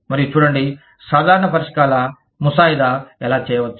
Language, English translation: Telugu, And see, how common solutions, can be drafted